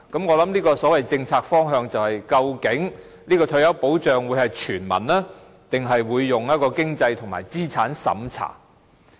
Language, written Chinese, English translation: Cantonese, "我想這個所謂政策方向便是：究竟這項退休保障會是全民的，還是採用經濟和資產審查的方式？, I think this so - called policy direction is Will this retirement protection be universal or will it a means - tested approach be adopted?